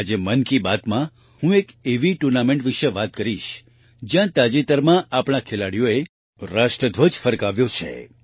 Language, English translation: Gujarati, Today in 'Mann Ki Baat', I will talk about a tournament where recently our players have raised the national flag